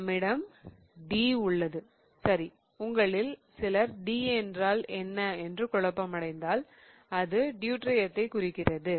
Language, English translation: Tamil, We have, okay, if some of you are confused about what that D is, D stands for Deuterium